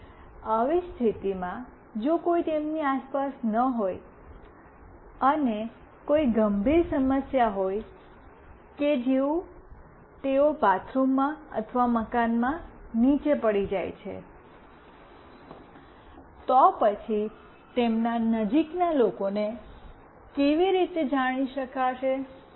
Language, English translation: Gujarati, And under such condition, if nobody is around them and there is some serious issue like they fall down in bathroom or in house only, then how do their near ones will come to know